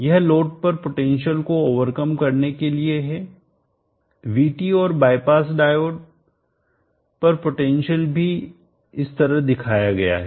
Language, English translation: Hindi, This as to overcome the potential across the load, the Vt and also the potential across the bypass diode are shown like this